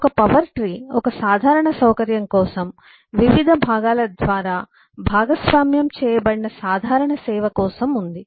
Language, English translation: Telugu, this power tree is there for a common facility, common service that is shared by different components